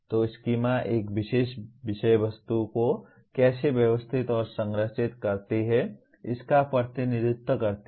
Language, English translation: Hindi, So schemas represent how a particular subject matter is organized and structured